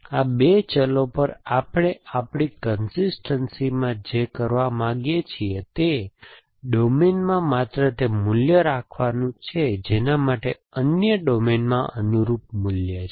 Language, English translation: Gujarati, So, what we want to do in our consistency over these two variables is to keep only those values in the domain, for which there is a corresponding value in the other domain essentially